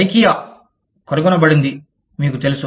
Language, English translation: Telugu, Ikea was found, you know